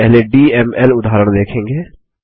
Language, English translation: Hindi, We will first see a DML example